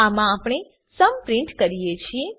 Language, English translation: Gujarati, In this we print the sum